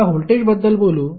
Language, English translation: Marathi, Now, let us talk about voltage